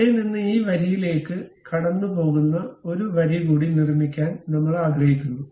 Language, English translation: Malayalam, And from there I would like to construct one more line passing through that and tangent to this line